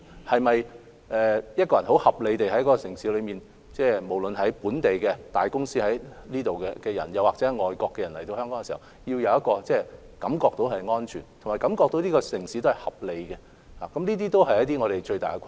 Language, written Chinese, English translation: Cantonese, 此外，很合理地，無論是這個城市裏的大公司、本地人，或外國人來港時，都需要感受到香港這個城市是安全和合理的，而這是我們面對的最大困難。, In addition it is very reasonable for be it the large enterprises and local people in the city or foreigners coming to Hong Kong they need to feel that Hong Kong is a safe and reasonable city . This is the greatest challenge before us